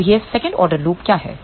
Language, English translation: Hindi, Now, what is this second order loop